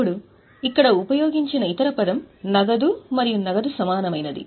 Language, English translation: Telugu, Now, other term here used is cash and cash equivalent